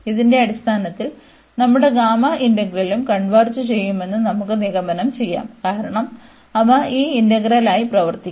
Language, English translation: Malayalam, And based on this we can conclude that our gamma integral will also converge, because they will behave the same this integral